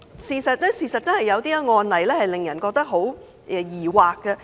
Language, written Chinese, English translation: Cantonese, 事實上，有些案例真的令人感到疑惑。, In fact some cases have really aroused doubts